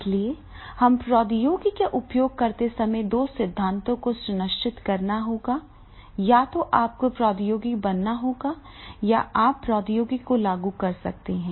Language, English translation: Hindi, So we but we have to ensure that the technology which we are using then there are two principles, either you can make the technology or you can buy the technology